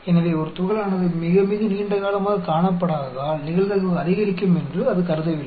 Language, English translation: Tamil, It is not that the probability will increase, because we have not seen a particle for a long time